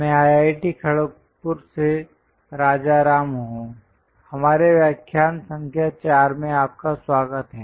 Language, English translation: Hindi, I am Rajaram from IIT Kharagpur, welcome to our lecture number 4